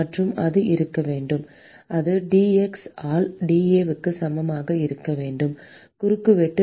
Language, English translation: Tamil, And that should be the that should be equal to dAs by dx, the change in the cross sectional